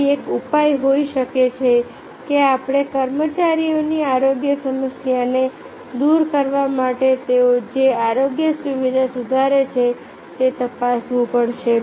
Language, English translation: Gujarati, so therefore, one solution maybe that that we have to check that the health facility they improve to address the health problem of the employees